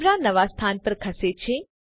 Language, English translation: Gujarati, The camera moves to the new location